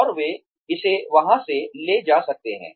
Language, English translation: Hindi, And, they can sort of, take it from there